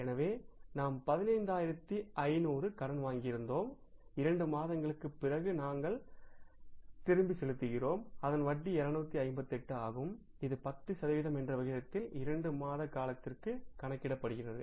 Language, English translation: Tamil, We are returning that after two months and we are returning that with the interest of that is 258 which works out at the rate of 10% for the period of two months